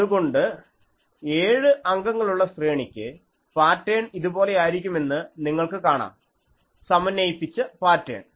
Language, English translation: Malayalam, So, for a seven element array, you see the pattern is like this, the synthesized pattern